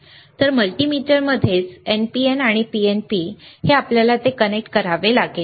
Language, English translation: Marathi, So, in the in the multimeter itself is NPN, PNP you have to connect it ok